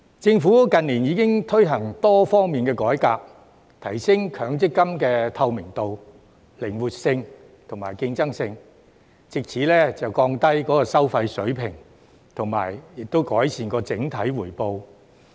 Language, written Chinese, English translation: Cantonese, 政府近年已經推行多方面改革，提升強積金的透明度、靈活性及競爭性，藉此降低收費水平及改善整體回報。, In recent years the Government has already introduced reforms in various aspects to enhance the transparency flexibility and competitiveness of MPF so as to lower its fee levels and improve its overall returns